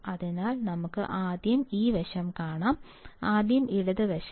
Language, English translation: Malayalam, So, let us just see this side first; , left side first